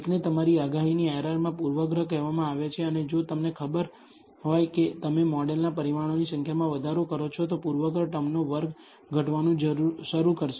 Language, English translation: Gujarati, One is called the bias in your prediction error and if you know if you increase the number of parameters of the model, this bias squared of the bias term will start decreasing